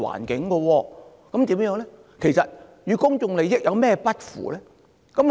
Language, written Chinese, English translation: Cantonese, 那麼，特首所做的與公眾利益有甚麼不符呢？, So what did the Chief Executive do that was contrary to the public interest?